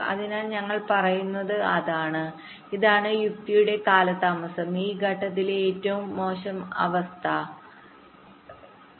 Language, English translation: Malayalam, so what we are saying is that this is the delay of the logic, maximum worst case delay of this stage